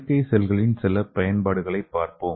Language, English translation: Tamil, So let us see some of the applications of artificial cells